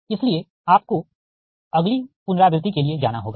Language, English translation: Hindi, so you have to go for the next iteration